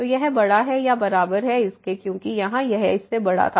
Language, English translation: Hindi, So, this is greater than equal to because here it was greater than